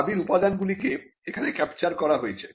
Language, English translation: Bengali, That the elements of the claim have been captured here